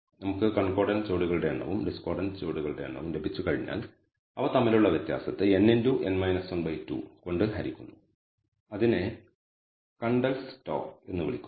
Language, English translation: Malayalam, So, once we have the number of concordant pairs and number of discordant pairs we take the difference between them divide by n into n minus 1 by 2 and that is called the Kendall’s tau